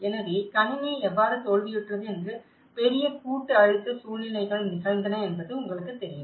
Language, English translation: Tamil, So, that is where you know the larger collective stress situations took place that how the system has failed